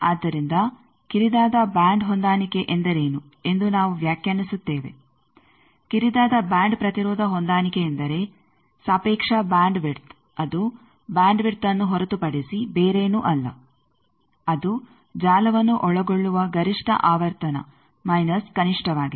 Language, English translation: Kannada, Narrow band impedance matching means the relative bandwidth which is nothing, but band width that is maximum frequency to which the network can be subjected minus the minimum